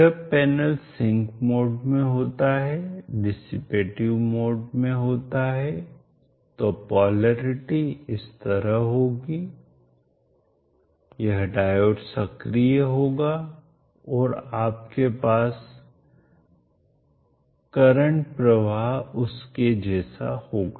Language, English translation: Hindi, When the panel is in the sinking mode dissipative mode, the polarity will be like, this diode will be active and you will have the current flow like that